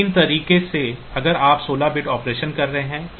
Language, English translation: Hindi, So, these ways if you are have if you are doing 16 bit operation